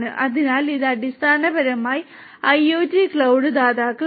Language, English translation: Malayalam, So, IoT cloud this basically are IoT cloud providers